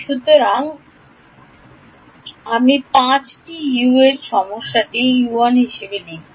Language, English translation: Bengali, So, I will write U 1 in this problem there are 5 U’s